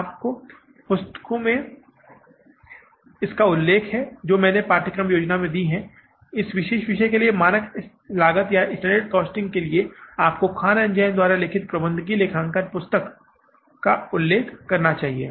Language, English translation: Hindi, You can refer to the books I have given in the course plan and the for this particular topic, standard costing, you should refer to the book that is the management accounting by Khan and Jan